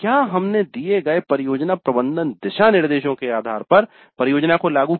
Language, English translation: Hindi, Then we implemented the project based on the given project management guidelines